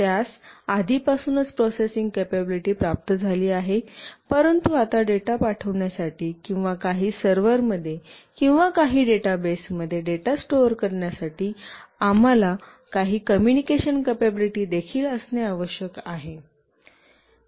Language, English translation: Marathi, It has got the processing capability already, but now for sending the data or storing the data in some server or in some database, we need some communication capability as well